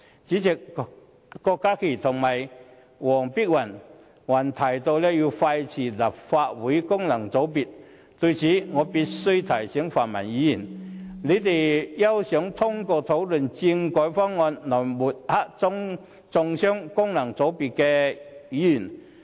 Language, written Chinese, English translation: Cantonese, 主席，郭家麒議員和黃碧雲議員還提到要廢除立法會功能界別，就此，我必須提醒泛民議員，他們休想通過討論政改方案來抹黑和中傷功能界別的議員。, President both Dr KWOK Ka - ki and Dr Helena WONG mentioned that the functional constituencies of the Legislative Council should be abolished . Concerning this I have to remind the pan - democratic Members that they should never dream of seeking to defame and vilify Members returned by functional constituencies through the discussions on the constitutional reform package